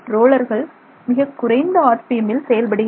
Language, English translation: Tamil, So, let's say the rollers are operating at low RPM